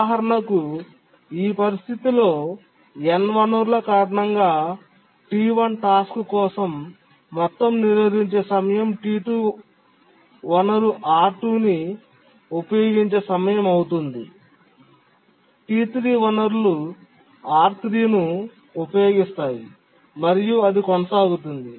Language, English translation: Telugu, For example, for this situation, the total blocking time for the task T1 due to the end resources will be the time for which T2 uses the resource, R2, T3 uses the research R3 and so on, and TN needs the resource RN, which can be large